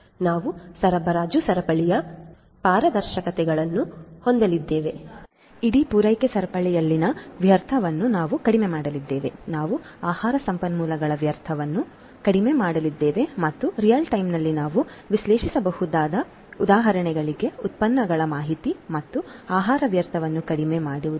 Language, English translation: Kannada, We are going to have transparency of the supply chain, we are going to minimize the wastage in the entire supply chain, we are going to have minimized wastage of food resources, we can analyze in real time foe example the information of food products and reduce the food wastage